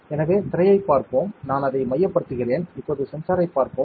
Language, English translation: Tamil, So, let us look at the screen, I will focus it, now let us see the sensor